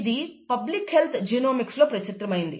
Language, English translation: Telugu, It was published in ‘Public Health Genomics’